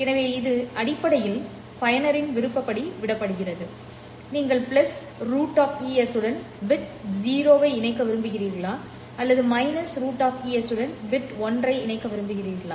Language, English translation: Tamil, So this is basically left to the discretion of the user whether you want to associate plus square root ES to the bit 0 or minus square root ES to bit 1